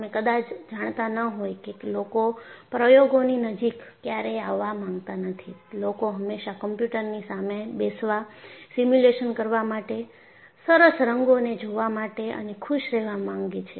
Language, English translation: Gujarati, You may not be aware because people do not want to come near anywhere near experiments; people always want to sit before the computers, do simulation, see nice colors, and be happy with it